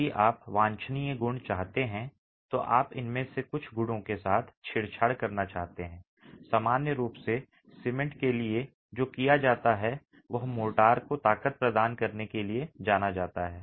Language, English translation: Hindi, And what is typically done in case you want to have desirable properties, you want to tinker with some of these properties, what's normally done is cement is known to provide strength to motor